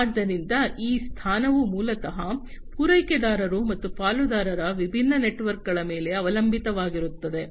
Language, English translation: Kannada, So, this position basically also depends on the different networks of suppliers and the partners